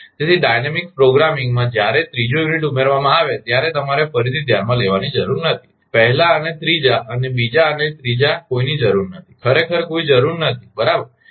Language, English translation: Gujarati, So, when third unit is added in dynamic programming you need not consider again, 1 and third and second and third no need actually there is no need right